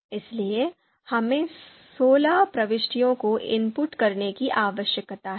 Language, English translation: Hindi, Therefore, we need to you know input you know sixteen entries